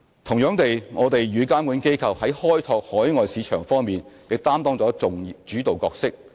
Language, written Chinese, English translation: Cantonese, 同樣地，我們與監管機構在開拓海外市場方面亦擔當了主導角色。, Similarly we have also played a leading role with regulatory bodies in developing overseas markets